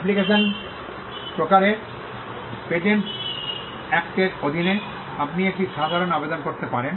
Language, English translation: Bengali, Types of applications; under the Patents Act, you can make an ordinary application